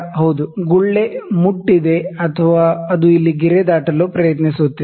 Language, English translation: Kannada, Yes, the bubble has touched or, it is trying to cross the line here